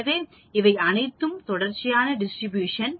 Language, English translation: Tamil, So, these all are continuous distribution